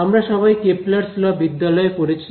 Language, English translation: Bengali, So, we all studied these Kepler’s law in school right